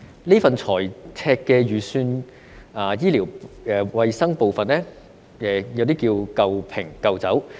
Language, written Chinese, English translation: Cantonese, 這份財赤預算就醫療衞生的部分，可說是"舊瓶舊酒"。, In this deficit budget the part concerning healthcare can be described as old wine in old bottles